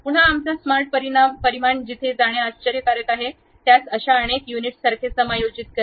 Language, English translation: Marathi, Again our smart dimension is wonderful to go there, adjust that to something like these many units